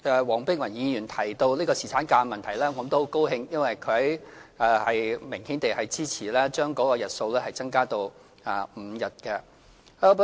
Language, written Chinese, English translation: Cantonese, 黃碧雲議員提到侍產假的問題，我很高興她明顯支持將日數增加至5日。, I am very pleased to note that when mentioning the issue of paternity leave Dr Helena WONG obviously supported increasing the number of paternity leave to five days